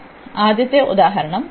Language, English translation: Malayalam, So, let us take the first one